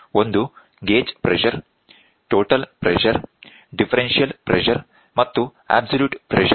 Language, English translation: Kannada, One is gauge pressure, total pressure, differential pressure and absolute pressure